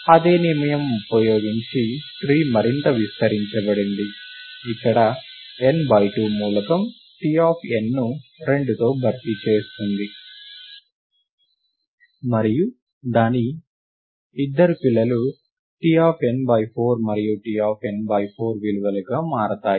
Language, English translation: Telugu, The tree is further expanded using the same rule; where, n by 2 replaces the element T of n by 2; and its two children become the values T of n by 4 and T of n by 4